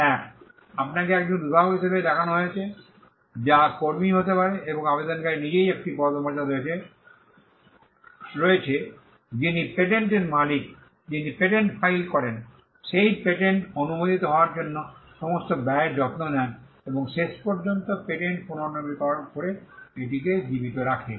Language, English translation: Bengali, One, you are shown as a inventor, which could be the employee and there is a status of as the applicant itself who, the person who owns the patent, who files the patent, takes care of all the expenses for the patent to get granted, and who eventually renews the patent and keeps it alive